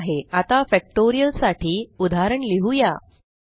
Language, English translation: Marathi, Okay, let us now write an example for Factorial